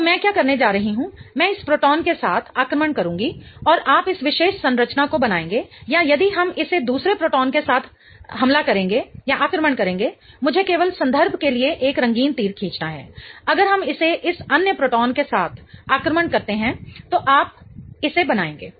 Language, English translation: Hindi, So, what I'm going to do is let us attack with this proton and you will form this particular structure or if we attack it with the other proton, let me just draw a colored arrow for reference